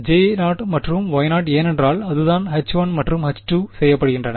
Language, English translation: Tamil, J 0 of r and Y 0 of r because that is what H 1 and H 2 are made of